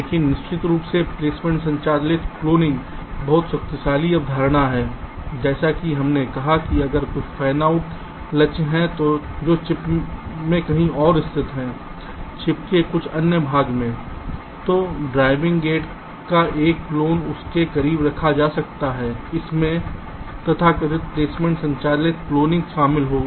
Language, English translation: Hindi, but of course, placement driven cloning is very powerful concept, as we said, that if there are some fanout targets which are located in somehow else of the chip chip, some other part of the chip, then a clone of the driving gate can be placed closer to that